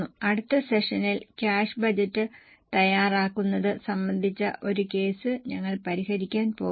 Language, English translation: Malayalam, In the next session we are going to solve a case on preparation of cash budget